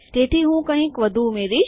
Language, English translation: Gujarati, So I will just add something more